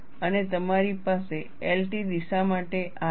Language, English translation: Gujarati, And you have this for L T direction